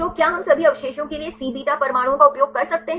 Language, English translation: Hindi, So, can we use Cβ atoms for all the residues